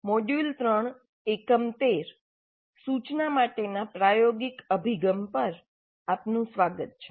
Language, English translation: Gujarati, Greetings, welcome to module 3, Unit 13, Experiential Approach to Instruction